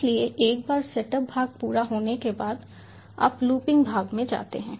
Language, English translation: Hindi, so ah, once the setup part is complete, you go into the looping part